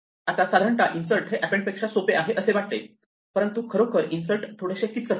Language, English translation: Marathi, Now it looks normally that insert should be easier that append, but actually insert is a bit tricky